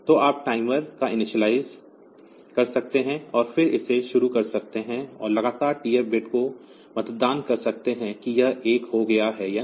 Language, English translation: Hindi, So, you can initialize the timer and then start it and continually poll the TF bit whether it has become 1 or not